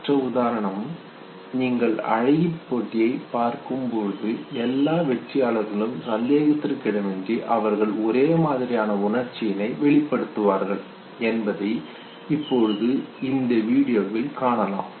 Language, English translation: Tamil, The other example, would be when you look at know the beauty contest, there you see that all the winners okay, unequivocally they would express the same way